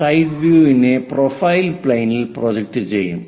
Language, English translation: Malayalam, A side view projected on to profile plane